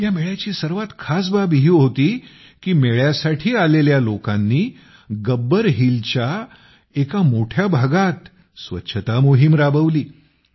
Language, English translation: Marathi, The most significant aspect about it was that the people who came to the fair conducted a cleanliness campaign across a large part of Gabbar Hill